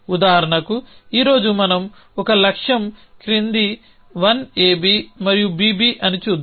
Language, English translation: Telugu, So, for example, today we look at an example may goal is the following 1 A B and on B B